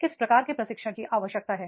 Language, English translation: Hindi, What trainer has to require